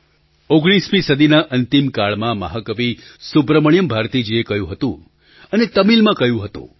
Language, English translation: Gujarati, Towards the end of the 19th century, Mahakavi Great Poet Subramanya Bharati had said, and he had said in Tamil